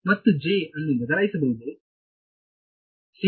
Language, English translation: Kannada, And J can replaced by